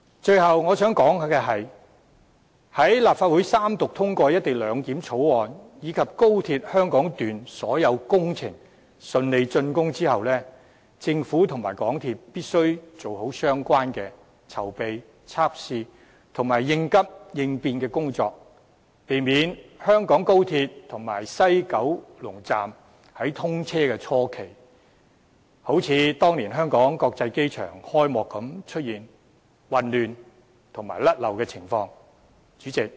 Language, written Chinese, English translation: Cantonese, 最後，我想指出，在立法會三讀通過《條例草案》，以及當高鐵香港段所有工程順利峻工後，政府及港鐵公司必須做好相關籌備、測試和應急應變工作，避免香港高鐵和西九龍站在通車初期，像當年香港國際機場開幕般出現混亂和錯漏情況。, Lastly I wish to highlight that following the Third Reading of the Bill and the smooth completion of all related works of XRL the Government and MTRCL should do a proper job of making the relevant preparations running tests and drawing up plans for emergency response to prevent the kind of chaos and lapses at the commissioning of the Hong Kong International Airport years ago from happening again during the initial stage of operation of XRL and WKS